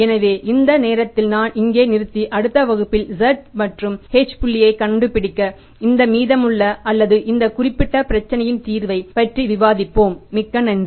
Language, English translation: Tamil, So, I stop here at the moment and let's discuss this remaining or the solution of this particular problem to find out Z and H point in the next class